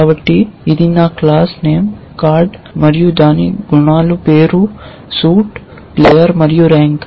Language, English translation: Telugu, So, if my this class name is card and its attributes are name, suit, player and rank